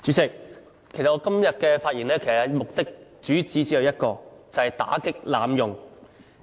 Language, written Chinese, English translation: Cantonese, 主席，我今天發言的主旨只有一個，就是打擊濫用。, President there is only one aim in my speech today that is to tackle the abuse